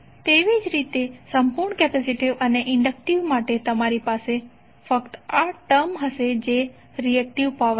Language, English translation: Gujarati, Similarly for purely capacitive and inductive you will only have this term that is the reactive power